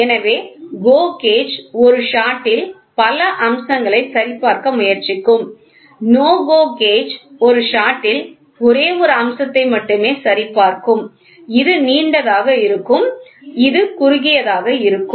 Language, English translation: Tamil, So, GO gauge will try to check multiple features in one shot, NO GO gauge will check only one feature in one shot this will be long and this will be short